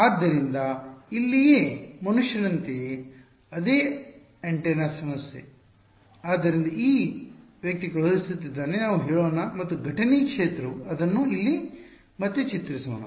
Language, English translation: Kannada, So, the same antenna problem over here as human being over here right; so, this guy is sending out let us say and incident field let us redraw it over here ok